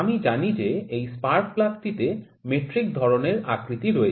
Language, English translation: Bengali, So, I know that this spark plug is having metric type of profile only